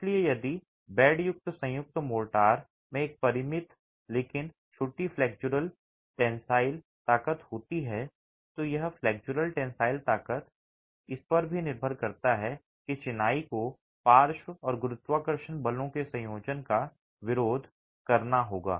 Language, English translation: Hindi, So, if bed joint, Morta has a finite but small flexual tensile strength, it depends on the flexual tensile strength that the masonry will have to resist a combination of lateral and gravity forces